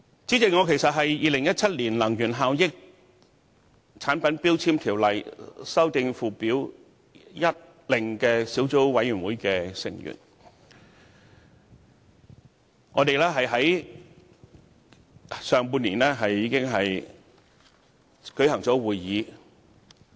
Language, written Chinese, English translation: Cantonese, 主席，我是《2017年能源效益條例令》小組委員會的成員，我們在上半年已經舉行了會議。, President I am a member of the Subcommittee on Energy Efficiency Ordinance Order 2017 and a meeting was held in the first half of the year